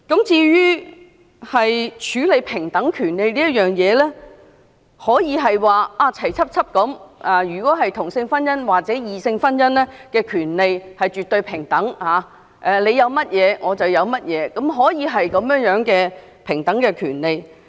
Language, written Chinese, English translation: Cantonese, 至於在處理平等權利一事，可以是同性婚姻或異性婚姻的權利絕對平等，即異性婚姻有甚麼權利，同性婚姻便有甚麼權利，可以是這樣的平等權利。, With regards to equal rights it can be the absolute equality between same - sex marriage and heterosexual marriage . That is whatever rights heterosexual couples may enjoy same - sex couples may also enjoy the same rights